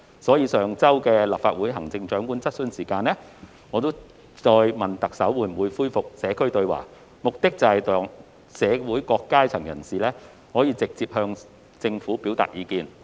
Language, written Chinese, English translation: Cantonese, 因此，在上周的立法會行政長官質詢時間，我再次問特首會否恢復社區對話，目的是讓社會各階層人士可直接向政府表達意見。, Therefore during the Chief Executives Question Time of the Legislative Council held last week I asked the Chief Executive again if she would resume holding Community Dialogue sessions with an aim to allow people from all walks of life to directly express their views to the Government